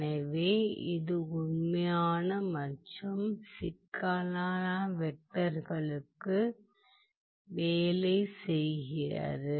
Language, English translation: Tamil, it works for both the real, works for both the real as well as complex vectors ok